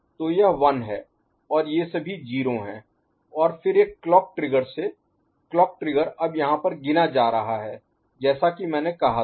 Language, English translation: Hindi, So, this is 1 and all these values are 0 and then with one clock trigger clock trigger is getting now counted here as I said